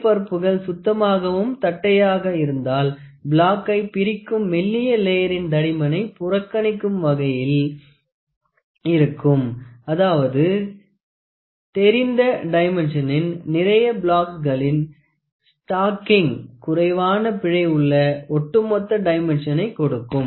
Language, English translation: Tamil, If the surfaces are clean and flat the thin layer of film separating the block will also have negligible thickness this means that stacking of multiple blocks of known dimensions will give the overall dimension with minimum error